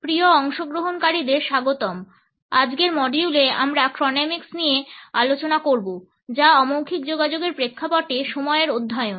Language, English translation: Bengali, Welcome dear participants, in today’s module we shall discuss Chronemics which is a study of time in the context of nonverbal communication